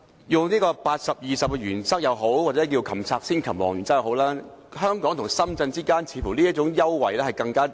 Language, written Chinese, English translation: Cantonese, 採用 80：20 的原則也好，又或稱為"擒賊先擒王"的原則也好，香港與深圳之間似乎更迫切需要這一種優惠。, No matter whether we adopt the principle of 80col20 or the one known as catching the ringleader first it seems there is a more pressing need for this kind of concession between Hong Kong and Shenzhen